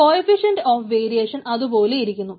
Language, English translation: Malayalam, coefficient of variation remains constant